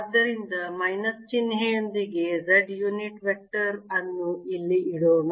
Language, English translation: Kannada, so let us put z unit vector with the minus sign here